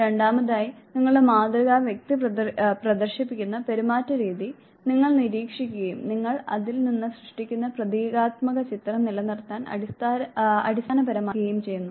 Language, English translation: Malayalam, Second, you observe the pattern of behavior that you are model exhibits and you basically try retaining the now symbolic image that you generate out of it